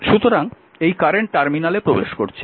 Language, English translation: Bengali, So, current actually entering through the negative terminal